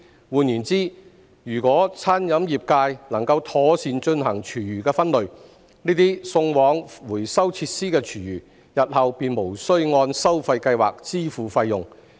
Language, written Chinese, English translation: Cantonese, 換言之，如果餐飲業界能夠妥善進行廚餘分類，這些送往回收設施的廚餘，日後便無須按收費計劃支付費用。, In other words if the catering trade is able to separate food waste properly the food waste sent to recycling facilities will not be subject to the charges under the charging scheme